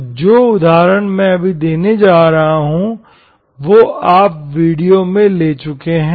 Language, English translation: Hindi, So the example which I am going to do now, which you have already taken, we have earlier, in earlier videos